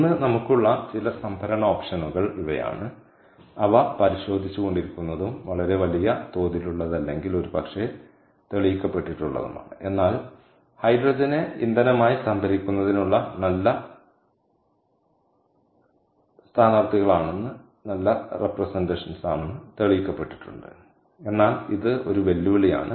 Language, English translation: Malayalam, ok, so these are some options of storage that we have today that are being looked into and that are that have probably been proven if may not be at a very large scale, but have been proven to be good candidates for storage of hydrogen as fuel